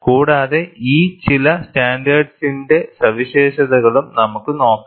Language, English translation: Malayalam, And we look at features of some of these standards